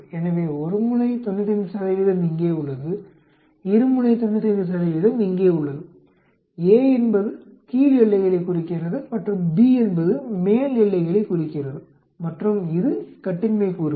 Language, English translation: Tamil, So one sided 95 percent is here, two sided 95 percent is here, a denotes the lower boundaries and b denotes the upper boundaries and this is the degrees of freedom